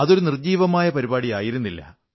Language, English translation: Malayalam, Perhaps, this was not a lifeless programme